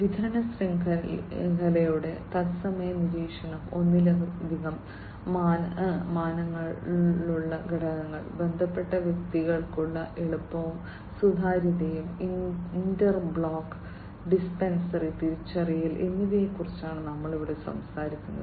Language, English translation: Malayalam, Here we are talking about real time monitoring of supply chain, elements in multiple dimensions, ease and transparency for related personal, and identification of inter block dependency